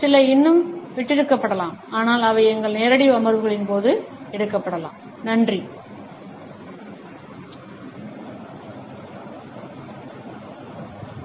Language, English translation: Tamil, Some maybe is still left out, but they can be taken up during our live sessions